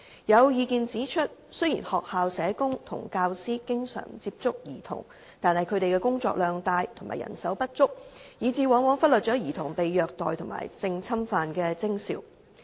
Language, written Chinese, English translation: Cantonese, 有意見指出，雖然學校社工和教師經常接觸兒童，但他們工作量大和人手不足，以致往往忽略兒童被虐待及性侵犯的徵兆。, There are comments that although school social workers and teachers are in frequent contacts with children they often overlook signs of physical or sexual abuses of children due to heavy workload and the shortage of manpower